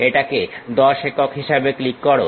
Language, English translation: Bengali, Click this one as 10 units